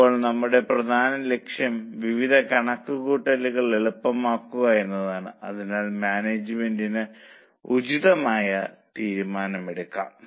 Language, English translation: Malayalam, Now our main purpose is to make various calculations easy so that management can take appropriate decision